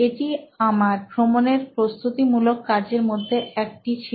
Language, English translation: Bengali, So, it is one of my preparatory ,you know, preparation for travel